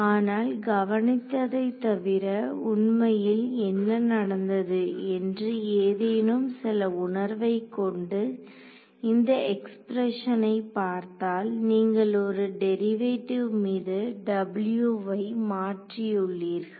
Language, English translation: Tamil, But, notice apart from ease of integration what has actually done you have in some sense if you look at this expression you have transferred one derivative from U onto W right